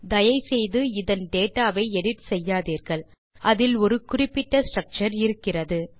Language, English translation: Tamil, Please dont edit the data since it has a particular structure